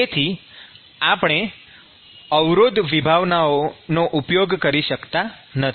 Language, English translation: Gujarati, So, we cannot use resistance concepts